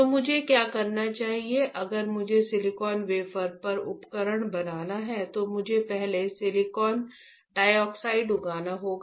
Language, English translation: Hindi, So, what should I do, for if I want to make the device on silicon wafer, I have to first grow silicon dioxide, right